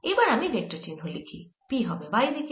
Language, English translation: Bengali, ok, so now i can put the vector sign p is going to be in the y direction